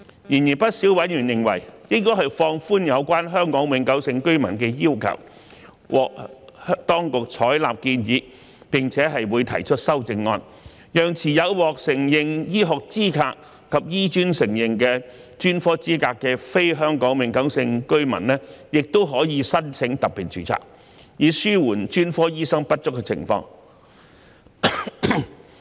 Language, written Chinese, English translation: Cantonese, 然而，不少委員認為，應放寬有關香港永久性居民的要求，獲當局採納建議並會提出修正案，讓持有獲承認醫學資格及醫專承認的專科資格的非香港永久性居民亦可申請特別註冊，以紓緩專科醫生不足的情況。, However many members considered that the HKPR requirement should be relaxed and the Government has taken on board this view and will propose an amendment to allow non - HKPRs holding recognized medical qualifications and possessing specialist qualifications recognized by HKAM to apply for special registration so as to alleviate the shortage of specialists